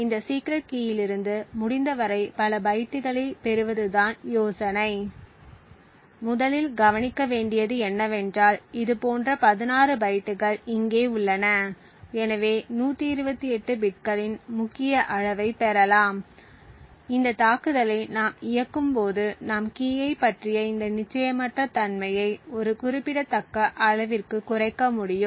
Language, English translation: Tamil, The idea is to get as many bytes as possible from this secret key, the first think to note is that there 16 such bytes over here and therefore we would obtain a key size of 128 bits, the hope is that when we run this attack we would be able to reduce this uncertainty about the key to a significant level